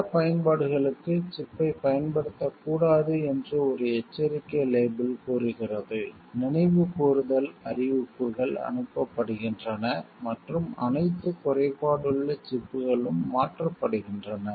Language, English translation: Tamil, A warning label says that the chip should not be used for certain applications, recall notices are sent out and all flawed chips are replaced